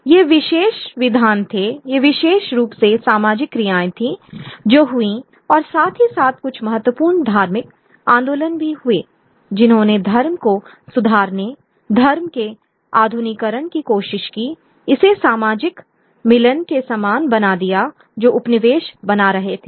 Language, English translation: Hindi, These were particular legislations, these particular social actions which took place and there were some important religious movements as well which tried to reform religion, try to modernize religion, make it more more akin to the kind of social milieu that colonization was creating